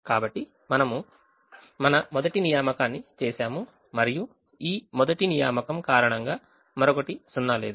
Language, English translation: Telugu, so we have made our first assignment and because of this first assignment there is no other